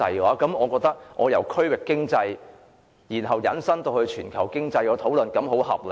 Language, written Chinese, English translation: Cantonese, 我認為我把討論由區域經濟引申至全球經濟，是很合理的。, I consider it quite reasonable for me to extend the discussion from regional economy to global economy